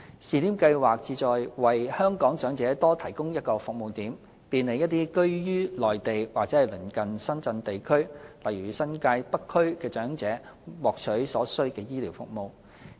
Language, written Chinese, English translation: Cantonese, 試點計劃旨在為香港長者多提供一個服務點，便利一些居於內地或鄰近深圳地區——例如新界北區——的長者獲取所需的醫療服務。, The scheme aims to provide one more service point for Hong Kong elderly people and facilitate those who reside on the Mainland or places near Shenzhen to seek necessary medical treatment